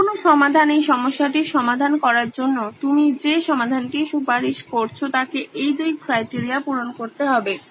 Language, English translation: Bengali, Any solution that you suggest to solve this problem has to satisfy both these criteria